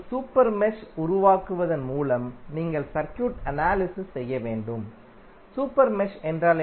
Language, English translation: Tamil, You have to analyze the circuit by creating a super mesh, super mesh means